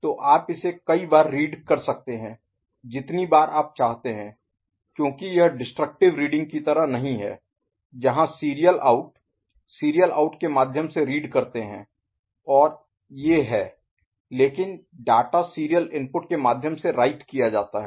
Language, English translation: Hindi, So, it can you can read it as many times as you want there is nothing like destructive reading and all where serial out reading through serial out is there and these, but the data is written serially through serial input ok